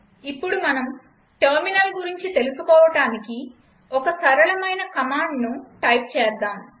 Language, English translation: Telugu, Now lets type a simple command to get a feel of terminal